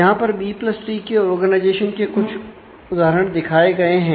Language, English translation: Hindi, So, this is showing some instances of the B + tree organization